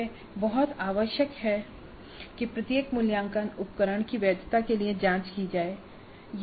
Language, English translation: Hindi, So it is very essential that every assessment instrument be checked for validity